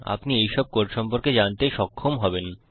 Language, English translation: Bengali, You will be able to know all these codes about